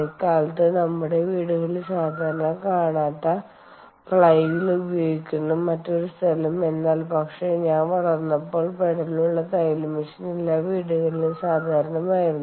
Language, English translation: Malayalam, well, the other place where flywheel is used which these days we dont see in our houses that commonly, but when i was growing up it was probably common in every household that was the sewing machine with a pedal